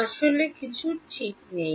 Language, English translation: Bengali, Actually something is not right